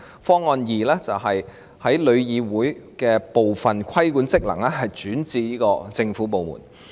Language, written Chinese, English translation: Cantonese, 方案二，把旅議會部分規管職能轉至政府部門。, Option 2 was to transfer certain regulatory functions from TIC to a government department